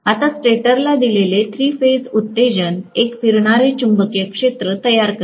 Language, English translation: Marathi, Now, three phase excitation given to the stator will create a revolving magnetic field